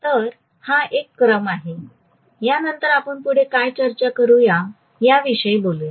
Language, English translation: Marathi, This is a sequence, after this we will worry about what further we will discuss, okay